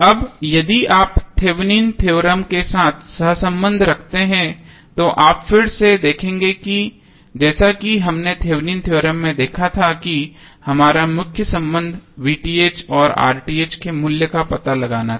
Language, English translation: Hindi, Now, if you correlate with the Thevenin's theorem you will see again as we saw in Thevenin theorem that our main concerned was to find out the value of V Th and R th